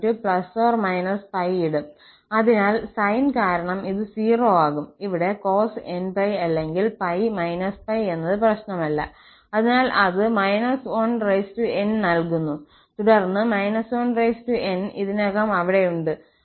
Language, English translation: Malayalam, So, because of the sine, this will become 0 and here, cos n pi, whether plus or minus pi does not matter, so, it gives minus 1 power n and then minus 1 power n is already there